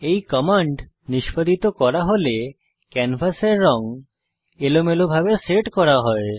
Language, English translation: Bengali, The canvas color is randomly set when this command is executed